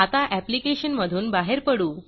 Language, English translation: Marathi, Let us now exit from the application